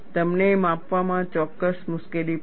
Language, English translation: Gujarati, You will have certain difficulty in measurement